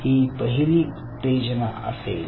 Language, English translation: Marathi, so this is the stimulus